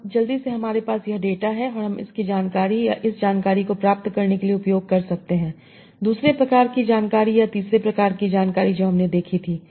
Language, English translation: Hindi, So now quickly, so we have this data and I can use that to get this information or the other sort of information or the third of information that we saw